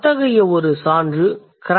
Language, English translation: Tamil, One such example is cranberry